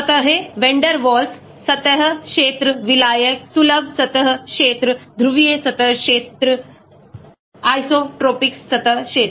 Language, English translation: Hindi, surfaces, Vander waals, surface area, solvent, accessible surface area, polar surface area, isotropic surface area